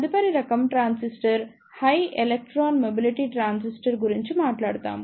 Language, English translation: Telugu, The next type of transistor, we will talk about is High Electron Mobility Transistor